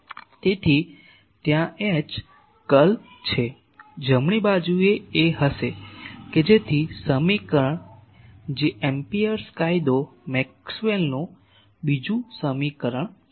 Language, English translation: Gujarati, So, there is a curl of H the right side will be so that equation which Amperes law Maxwell’s second equation